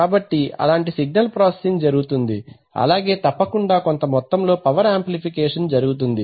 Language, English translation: Telugu, So such signal processing may be done and obviously power amplification some amount of electrical power amplification is done